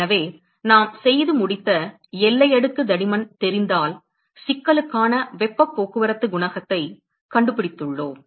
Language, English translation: Tamil, So, if we know the boundary layer thickness we are done, we have found the heat transport coefficient for the problem